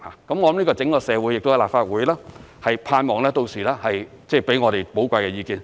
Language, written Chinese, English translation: Cantonese, 盼望整個社會、立法會屆時給予我們寶貴的意見。, I hope that the whole community and the Legislative Council will give us valuable advice by then